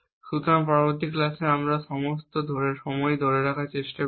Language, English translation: Bengali, So, in the next class, we will try as we keep doing all these time